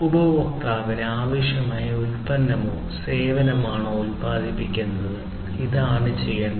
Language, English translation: Malayalam, Producing exact product or the service that the customer needs, this is what has to be done